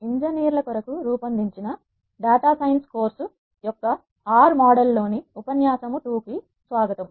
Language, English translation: Telugu, Welcome to the lecture 2 in the R model of the course Data science for Engineers